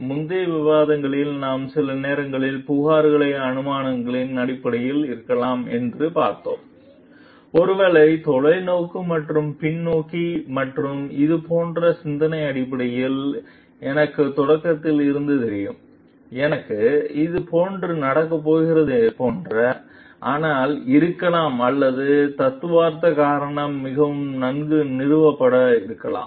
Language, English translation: Tamil, In the earlier discussions, we find found like the sometimes the complaints are made maybe based on assumptions, maybe based on foresight and hindsight and thinking like, I knew it from the start, I like this is going to happen, but may or may not be very well founded on theoretical reasoning